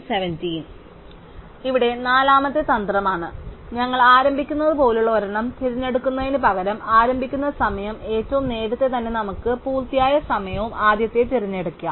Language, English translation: Malayalam, So, here is a fourth strategy, instead of choosing the one like we begin with whose start time is earliest, let us choose the one whose finished time is earliest